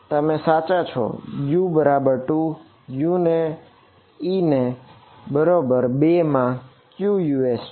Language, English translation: Gujarati, You are right e is equal to 2; e is equal to 2 has which Us in it